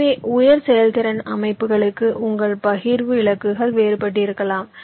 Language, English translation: Tamil, so for high performance systems, your partitioning goals can be different